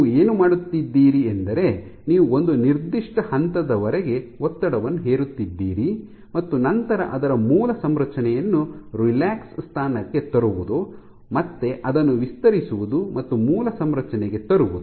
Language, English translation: Kannada, So, what you are doing is you are imposing the strain up to a certain point letting it go letting it relax to its original configuration and again stretching it and letting it go